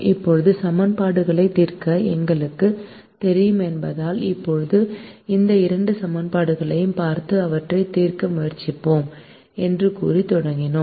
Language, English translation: Tamil, now we started by saying that since we know to solve equations, we will now look at these two equations and try to solve them